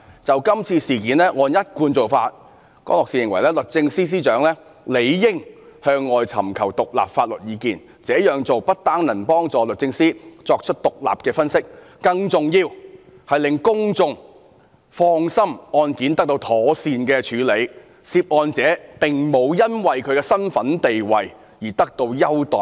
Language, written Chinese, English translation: Cantonese, 就這次事件，江樂士認為按一貫做法，律政司司長理應向外尋求獨立法律意見，這樣做不單能幫助律政司作出獨立的分析，更重要是令公眾放心案件得到妥善處理，涉案者並無因為其身份和地位而得到優待。, As to this incident Mr CROSS considered that according to the established practice the Secretary for Justice should seek independent legal opinions from outside . That would not only help the Department in making independent analysis the most important effect is to make the public feel that the case is in good hands and the person involved would not enjoy preferential treatment due to hisher status and position . Deputy President all of the above are the cruxes of todays debate